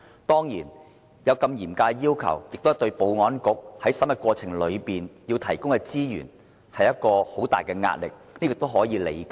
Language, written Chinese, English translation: Cantonese, 當然，這對保安局在審核過程期間，會構成很大資源壓力，但這是可以理解的。, Of course this will put heavy strain on the Security Bureaus resources during screening yet this is understandable